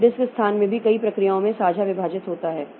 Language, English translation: Hindi, So disk space is also divided, shared across a number of processes